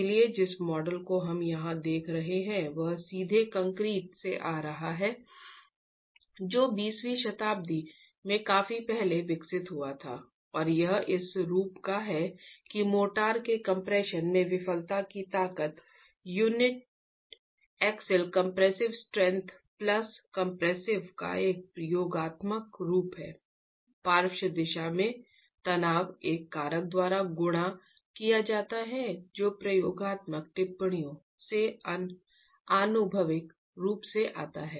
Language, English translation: Hindi, So the model that we are looking at here is coming directly from concrete developed quite early in the 20th century and is of the form that the failure strength in compression of the motor is an additive form of the uniaxial compressive strength plus the tensile stress, the compressive stress in the lateral direction multiplied by a factor that comes empirically from experimental observations